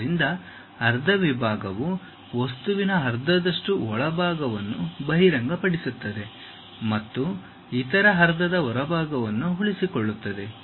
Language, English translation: Kannada, So, a half section exposes the interior of one half of an object while retaining the exterior of the other half